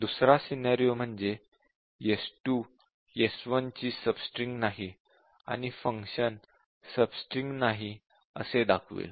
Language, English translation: Marathi, The other scenario is that s2 is not a sub string of s1, so it will display it is not a sub string